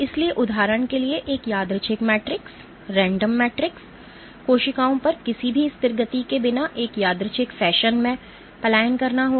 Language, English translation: Hindi, So, for example, on a random matrix cells will tend to migrate in a random fashion without any persistent motion